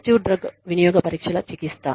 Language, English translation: Telugu, Treatment of positive drug use tests